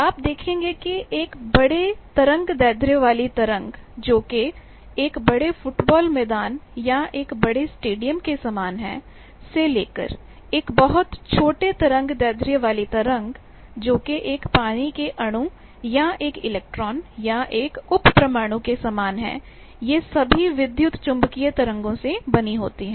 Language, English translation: Hindi, You see the electromagnetic spectrum; you see starting from very large wave lengths or the order of a large soccer field, a large stadium to very small wave lengths like a water molecule, an electron, a sub atomic particle all these are composed of electromagnetic waves